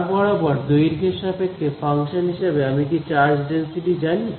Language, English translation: Bengali, As a function of the length along the wire do I know the charge density